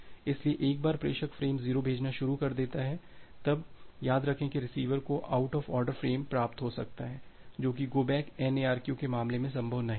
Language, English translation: Hindi, So, once the sender frame 0, now in this case remember that the receiver can receive frames out of order which were not possible in the case of go back N ARQ